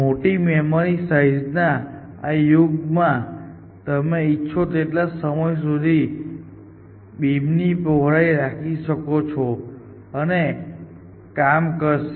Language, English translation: Gujarati, In this era of huge memory sizes, you can keep the beam width as large as you can isn’t it and it will work